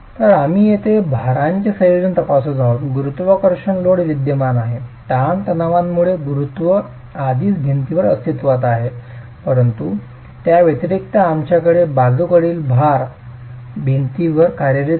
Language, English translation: Marathi, The gravity load is present, the stresses due to gravity loads are already present in the wall, but in addition we have the lateral load acting on the wall